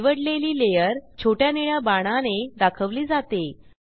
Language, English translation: Marathi, Layer selected is pointed by small blue arrow